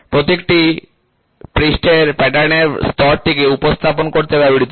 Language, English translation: Bengali, The symbol is used to represent lay of the surface pattern